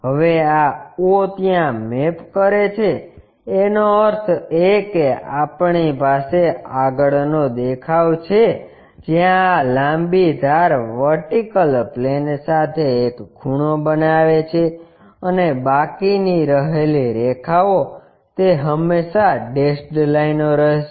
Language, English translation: Gujarati, Now, this o maps to there join that that means, we have a front view where this longer edge makes an angle with the vertical plane, and the remaining lines it will always be dashed lines